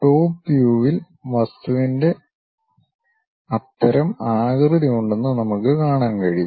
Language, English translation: Malayalam, It looks like in the top view, we can see that the object has such kind of shape